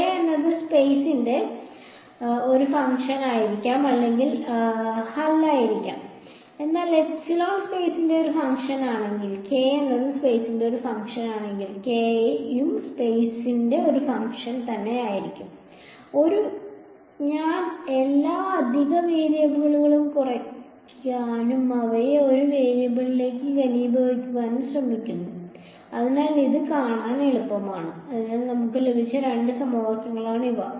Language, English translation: Malayalam, K may or may not be a function of space, but if like epsilon is a function of space, then k will also be a function of space ok, just a I am trying to reduce all the extra variables and condense them to one variable, so that is easy to see alright, so these are the two equation that we have got